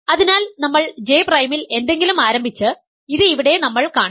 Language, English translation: Malayalam, So, we started with something in J prime, we have showed it is here ok